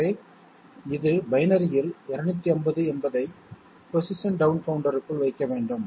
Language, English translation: Tamil, So this is 250 in binary should be put inside the position down counter